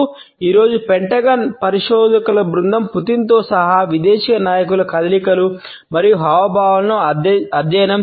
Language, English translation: Telugu, Today, the group of Pentagon researchers his job is to study the movements and gestures of foreign leaders including Putin